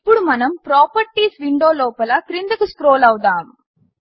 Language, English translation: Telugu, Now let us scroll to the bottom in the Properties window